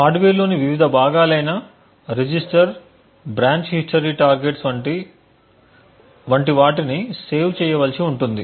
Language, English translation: Telugu, The various components within the hardware such as register, branch history targets and so on would require to be saved